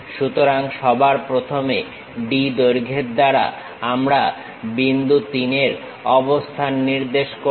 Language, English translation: Bengali, So, with D length, we will first of all locate point 3